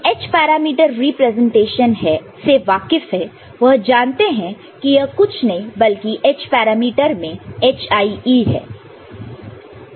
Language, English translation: Hindi, Otherwise those who are familiar with h parameter representation this is nothing but the hie in the h parameter to put a representation